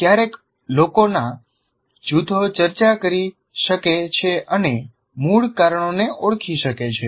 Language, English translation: Gujarati, Sometimes groups of people can discuss and identify the root causes